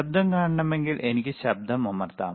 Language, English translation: Malayalam, If want to see noise, then I can press noise